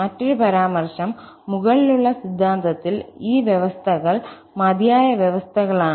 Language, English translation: Malayalam, Another remark, in the above theorem, these conditions are sufficient conditions